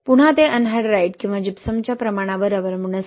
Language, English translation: Marathi, Again that will depend upon the amount of anhydrite or gypsum